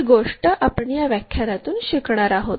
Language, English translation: Marathi, That is a thing what we are going to learn it in this lecture